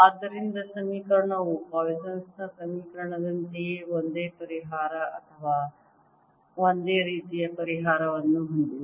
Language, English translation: Kannada, therefore the equation has the same solution, or similar solution, as for the poisson's equation